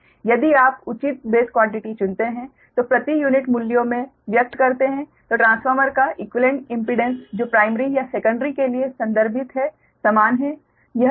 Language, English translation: Hindi, right, if you choose the proper base quantities which express in per unit values, the equivalent impedance of transformer, whether referred to primary or secondary, is the same